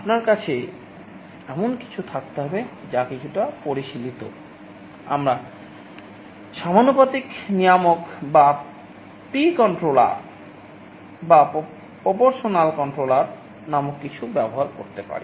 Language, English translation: Bengali, You can have something that is slightly more sophisticated